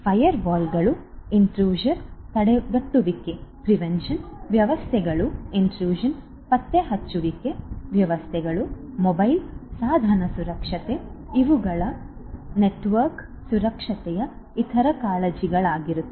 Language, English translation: Kannada, Firewalls, intrusion prevention systems, intrusion detection systems, mobile device security, these are also other concerns of network security